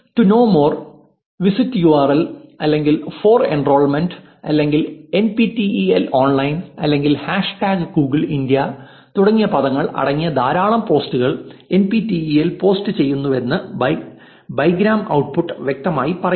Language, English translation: Malayalam, The bigram output clearly tells us that NPTEL posts a lot of posts containing phrases like 'to know more', 'visit URL' or 'for enrollment' or 'nptel online' or 'hashtag googleindia' and so on